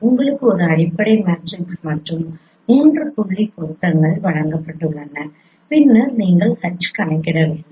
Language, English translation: Tamil, You have been given a fundamental matrix and three point correspondences and then you need to compute H